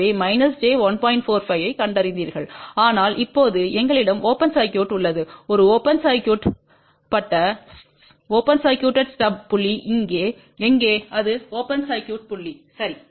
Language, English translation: Tamil, 45 as before, but now we have a open circuited stub where is a open circuited stub point this is the open circuit point, ok